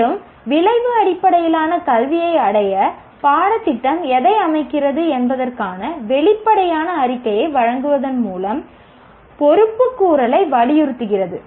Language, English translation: Tamil, And accountability by providing the explicit statement of what the curriculum is setting out to achieve outcome based education emphasizes accountability